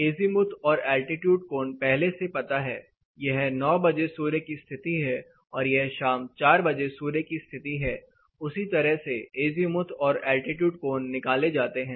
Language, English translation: Hindi, Altitude angle and azimuth angle are known; suns position, this is at 9 o’clock, this is at 4 o’clock in the evening, same altitude and azimuth angle is determined